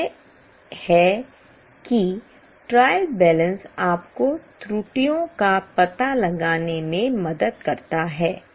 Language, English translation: Hindi, This is how trial balance helps you to find out the errors